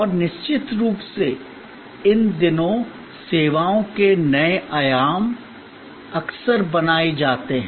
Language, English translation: Hindi, And of course, new dimension of services are often created these days